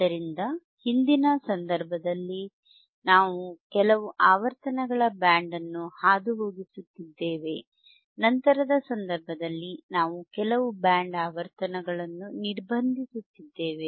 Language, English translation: Kannada, So, in thisformer case, we are passing certain band of frequencies, in thislatter case we are attenuating some band of frequencies right